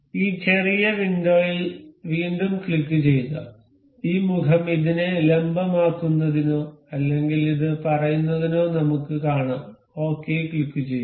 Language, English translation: Malayalam, Again click on this small window, we will see this face let us make it perpendicular to this one or say this one, click on ok